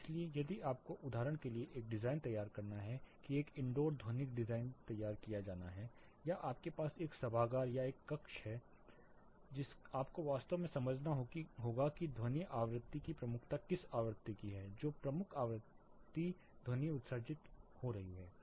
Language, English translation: Hindi, So, if you have to design a say for example, an indoor acoustical design has to be done you have an auditorium or a classroom, you have to really understand which frequency there is a prominence of sound mean, which prominent frequency the sound is getting emitted